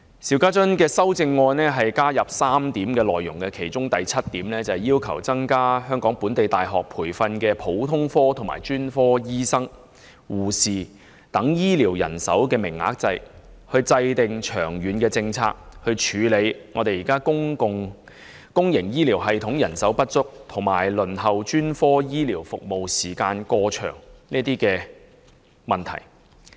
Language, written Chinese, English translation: Cantonese, 邵議員的修正案就原議案加入3點內容：經他修正的修正案第七點，要求"就增加本地大學培訓普通科及專科醫生、護士、專職醫療人員等醫療人手的名額制訂長遠政策，以處理現時公營醫療系統人手不足及輪候專科醫療服務時間過長的問題"。, Mr SHIUs amendment has introduced three additional points to the original motion Point 7 of his amendment calls for the Governments formulating a long - term policy for increasing the number of places in local universities for training healthcare professionals such as general practitioners specialists nurses and allied health personnel so as to deal with the existing problems of manpower shortage and excessively long waiting time for specialist healthcare services in the public healthcare system